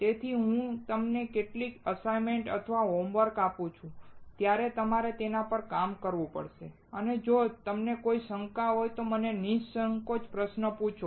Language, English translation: Gujarati, So, when I give you some assignments or homework, you have to work on them and feel free to ask me questions if you have any doubts